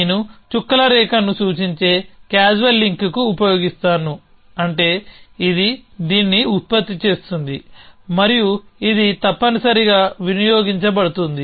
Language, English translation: Telugu, So I will use the dotted line to represented causal link which means this is producing this and this consumedly that essentially